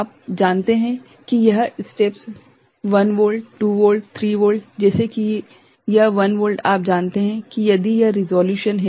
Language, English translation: Hindi, This steps are because of you know it is say 1 volt, 2 volt, 3 volt like, if it is a 1 volt you know resolution is there